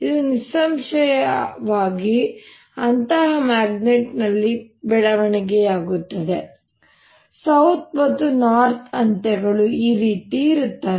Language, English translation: Kannada, this obviously develops in such a magnet that s and n ends are like this